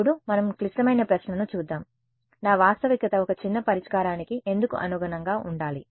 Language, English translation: Telugu, Now let us look at the critical question, why should I why should my reality correspond to a sparse solution